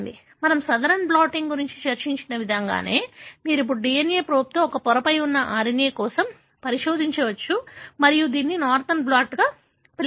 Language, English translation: Telugu, Just the way we discussed Southern blotting, you can now probefor an RNA which is there on a membrane, with a DNA probe and this is called as Northern blot